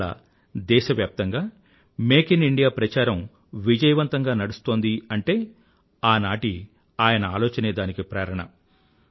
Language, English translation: Telugu, Today, the campaign of Make in India is progressing successfully in consonance with Dr